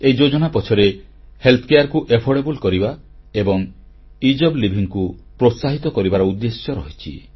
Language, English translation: Odia, The motive behind this scheme is making healthcare affordable and encouraging Ease of Living